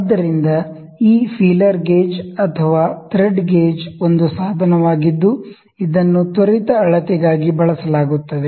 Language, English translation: Kannada, So, this feeler gauge or the thread gauge this small gauge is which is a there instrument which are used for very quick measurement